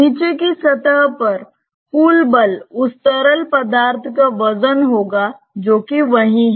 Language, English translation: Hindi, Total force on the bottom surface will be that plus the weight of the fluid which is there right